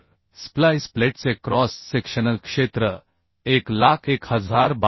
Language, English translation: Marathi, So cross sectional area of the splice plate is 100 1022